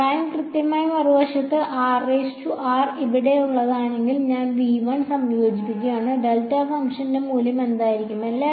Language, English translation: Malayalam, Prime exactly, on the other hand if r prime were inside here and I am integrating over v 1, what will happen what is the value of the delta function